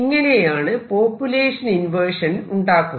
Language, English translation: Malayalam, So, this is how population inversion is achieved